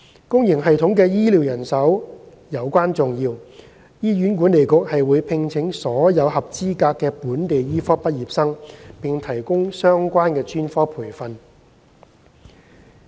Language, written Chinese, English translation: Cantonese, 公營系統的醫療人手尤關重要，醫院管理局會聘請所有合資格的本地醫科畢業生並提供相關專科培訓。, Health care professionals in the public sector are of utmost importance . The Hospital Authority HA will recruit all qualified locally trained medical graduates and provide them with relevant specialist training